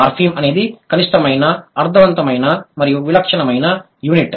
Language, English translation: Telugu, A morphem was minimal, meaningful and distinctive unit